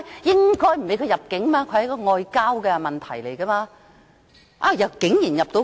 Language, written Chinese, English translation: Cantonese, 應該不准他入境，那是外交問題，但他竟然能夠入境。, He should have been refused entry . That was a diplomatic issue but surprisingly he was granted entry